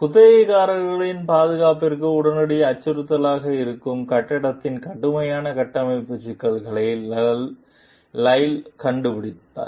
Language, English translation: Tamil, Lyle discovers serious structural problems in the building that are immediate threat to the tenant s safety